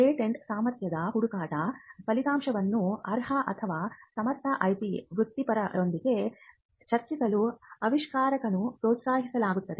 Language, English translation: Kannada, Now, the inventors are then encouraged to discuss in confidence the result of the patentability search with the qualified or a competent IP professional